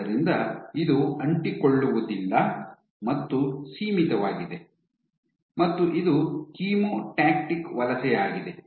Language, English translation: Kannada, So, it is non adherent and confined and it is chemotactic migration